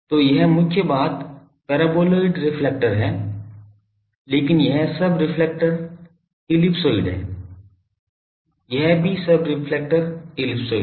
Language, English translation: Hindi, So, this is the main thing is paraboloid reflector, but this is the subreflector ellipsoid this is also subreflector ellipsoid